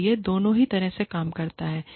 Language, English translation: Hindi, So, it works, both ways